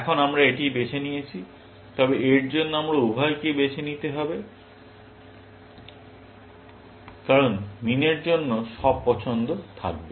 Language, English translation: Bengali, Now, we have chosen this, but for this, we must choose both; because all choices for min